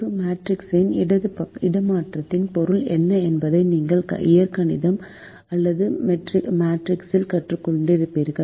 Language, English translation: Tamil, you would have learnt in algebra are matrices as to what this meant by the transpose of a matrix